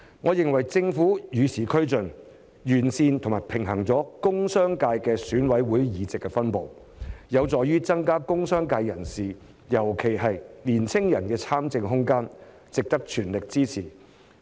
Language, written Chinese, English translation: Cantonese, 我認為政府與時俱進，完善及平衡了工商界的選委會議席的分布，有助於增加工商界人士——尤其是年輕人——的參政空間，值得全力支持。, small and medium enterprises subsector would be created with 15 seats in total . I think the Government has kept pace with the times to improve and balance the distribution of EC seats in the industrial and commercial sectors which will facilitate members of the industrial and commercial sectors especially the young people to have greater room for participation in politics